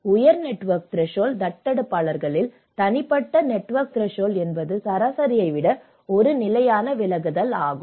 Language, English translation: Tamil, Then in the high network threshold adopters where, whose personal network threshold one standard deviation higher than the average